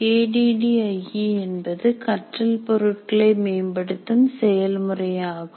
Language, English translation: Tamil, So, ADI is a process for development of a learning product